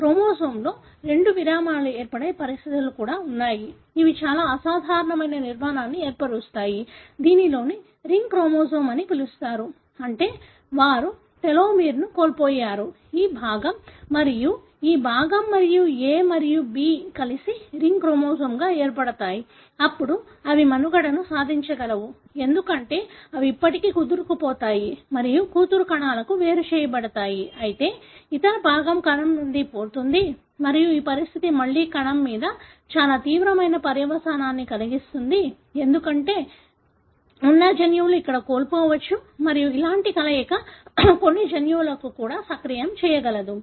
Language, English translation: Telugu, There are also conditions wherein two breaks in a chromosome, can result in very abnormal structure which is called as ring chromosome, meaning they have lost the telomere, this part and this part and the A and B join together to form as a ring chromosome; then they can survive, because still they can bind to spindle and being separated to the daughter cells, whereas the other part is lost from the cell and this condition again, can have very, very severe consequence on the cell, because genes that are present here may be lost and such fusion can also activate certain genes and so on